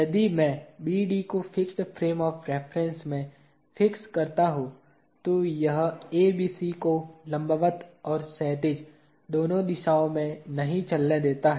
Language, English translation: Hindi, If I fix BD to fixed frame of reference, it does not let move ABC move in both vertical and horizontal direction